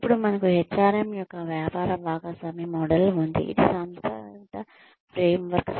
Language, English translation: Telugu, Then, we have a business partner model of HRM, which is a conceptual framework